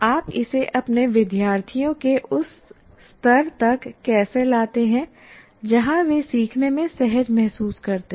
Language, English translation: Hindi, How do you make it, bring it down at a level to the level of your students where they feel comfortable in learning